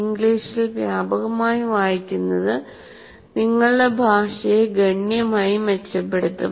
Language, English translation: Malayalam, Reading widely in English will greatly improve your language